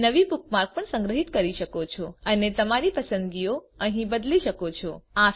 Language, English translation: Gujarati, You can also save new bookmark and change your preferences here